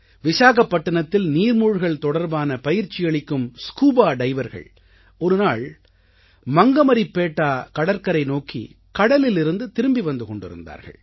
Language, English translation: Tamil, One day, these scuba divers, who impart training in Vishakhapattanam, were obstructed by plastic bottles and pouches on their way back from sea on Mangamaripetta beach